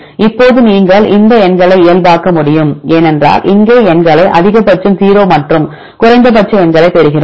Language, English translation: Tamil, Now you can normalize these numbers because here we get the numbers maximum of 0 and minimum numbers